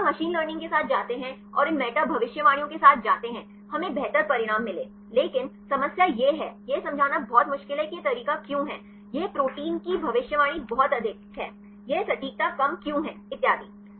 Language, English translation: Hindi, When you go with the machine learning and go with these meta predictions; we get better results, but the problem is; it is very difficult to explain why this method; this protein prediction is very high, why this accuracy is low and so, on